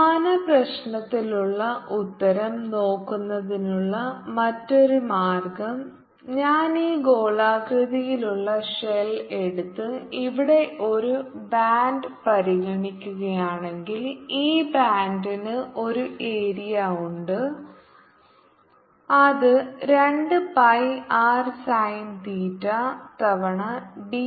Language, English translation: Malayalam, another way of looking at the answer for same problem would be if i take this spherical shell and consider a band here, this band has a, an area which is two pi r sin theta times r d theta is the total area of the band